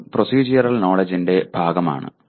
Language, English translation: Malayalam, That is also part of procedural knowledge